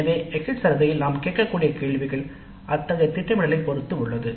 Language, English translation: Tamil, So, questions that we can include in the exit survey depend on such planning